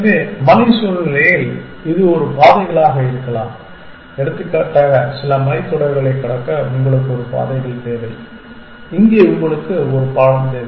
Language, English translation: Tamil, So, in the mountainous situation it could be a paths for example, you need a paths to cross some mountain ridge here you need a bridge